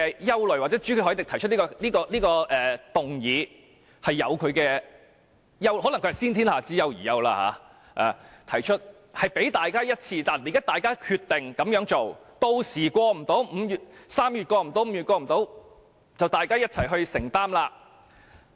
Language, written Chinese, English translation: Cantonese, 因此，朱凱廸議員動議的議案可能是"先天下之憂而憂"，提出來讓大家決定這樣做，屆時3月、5月無法通過，就由大家一起承擔。, Though Mr CHU Hoi - dicks worries prompting him to move the motion may be premature his proposal allows Members to make a decision to go ahead with the adjournment so that when the Bill cannot be passed in March or May Members will bear the responsibility collectively